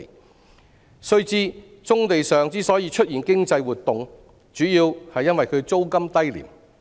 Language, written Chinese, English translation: Cantonese, 我們要知道，棕地出現經濟活動，主要原因是其租金低廉。, We should bear in mind that the emergence of economic activities on brownfield sites is mainly due to their low rental prices